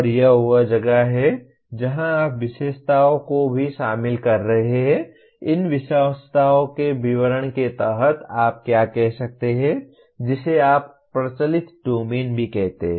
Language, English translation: Hindi, And this is where you are even including attributes, which statement of these attributes may come under what you call as the affective domain as well